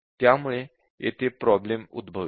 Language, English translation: Marathi, So, the problem would occur